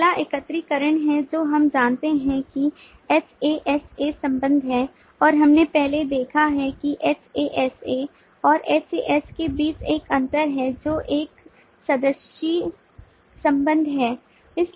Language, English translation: Hindi, the next is the aggregation which we know hasa relationship and we have seen earlier that there is a difference between hasa and has, which is a membered relationship